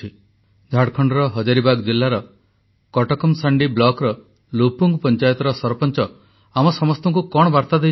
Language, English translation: Odia, Come let's listen to what the Sarpanch of LupungPanchayat of Katakmasandi block in Hazaribagh district of Jharkhand has to say to all of us through this message